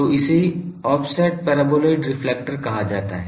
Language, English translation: Hindi, So, this is called offset paraboloid reflector